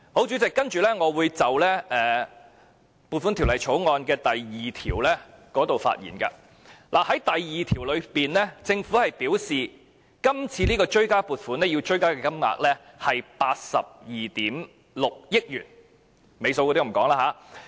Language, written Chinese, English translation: Cantonese, 主席，接下來我會就《追加撥款條例草案》的第2條發言。第2條表示，今次追加撥款的金額是82億 6,000 萬元，尾數就不讀出來了。, Chairman next I will speak on clause 2 of the Supplementary Appropriation 2016 - 2017 Bill the Bill which stated that the supplementary appropriation amounted to some 8.26 billion